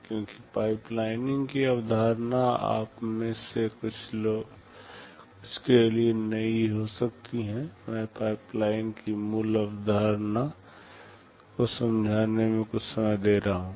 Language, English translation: Hindi, Because the concept of pipelining may be new to some of you, I shall be devoting some time in explaining the basic concept of pipeline